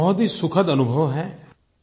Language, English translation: Hindi, This is a wonderful experience